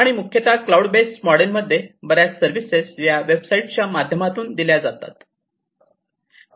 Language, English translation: Marathi, And particularly in the cloud based model, most of the services are offered through websites right